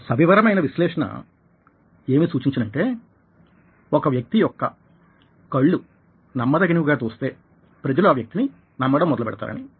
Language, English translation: Telugu, a detailed analysis suggested that, ah, if the eyes look trustworthy, people tended to believe this people